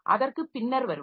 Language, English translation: Tamil, So, we will come to that later